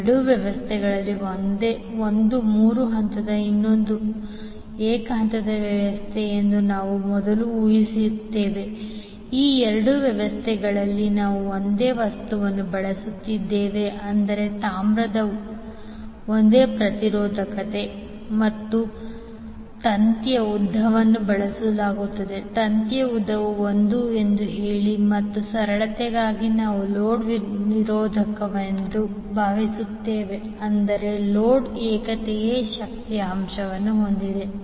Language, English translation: Kannada, We will first assume that in both of these systems one is three phase and the other is single phase system, in both of these systems we are using the same material that means copper with the same resistivity and same length of the wire is being used, let us say that the length of the wire is l and for simplicity we will assume that the loads are resistive that means the load is having unity power factor